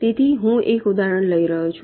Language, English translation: Gujarati, so i am taking an example